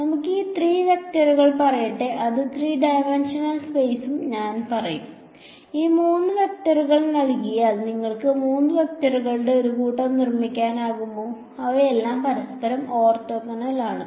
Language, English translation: Malayalam, Let us say these 3 vectors wherein 3 dimensional space and I say that given these 3 vectors, can you construct a set of 3 vectors which are all orthogonal to each other